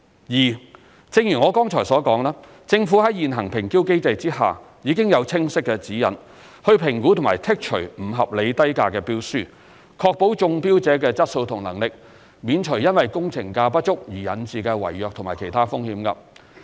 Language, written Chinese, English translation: Cantonese, 二正如我剛才所說，政府在現行評標機制下已有清晰指引，以評估和剔除不合理低價標書，確保中標者的質素和能力，免除因工程價不足而引致的違約及其他風險。, 2 As I just said clear guidelines have been in place to assess and exclude tenders with unreasonably low bid prices under our current tender evaluation mechanism . This will ensure the quality and capability of the successful bidders and avoid contract default or other risks due to inadequate tender prices